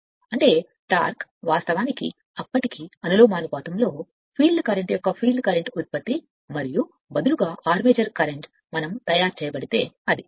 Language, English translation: Telugu, That means, your torque actually proportional to then, your field current product of field current and armature current right instead of phi we are made it is I f